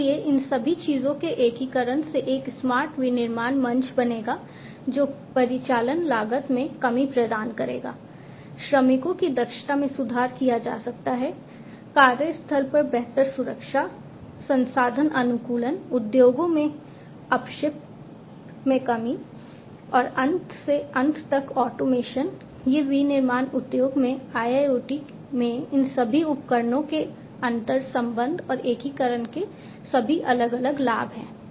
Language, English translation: Hindi, So, together the integration of all of these things would make a smart manufacturing platform that will provide reduction in operational costs, efficiency of the workers can be improved, improved safety at the workplace, resource optimization, waste reduction in the industries, and end to end automation these are all the different benefits of interconnection and integration of all these devices in IIoT in the manufacturing industry